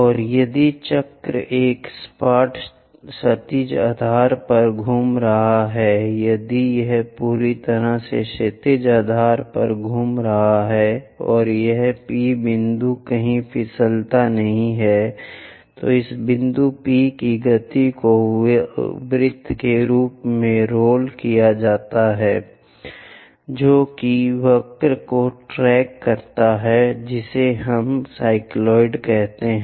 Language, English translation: Hindi, And if the circle is rolling on a flat horizontal base, if it is rolling on these perfectly horizontal base and this P point never slips, then the motion of this P point as circle rolls whatever the curve tracked by that we call it as cycloid